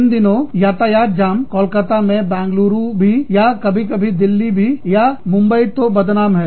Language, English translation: Hindi, Traffic jams in Calcutta, or these days, even Bangalore, or sometimes, even Delhi, or Bombay, are notorious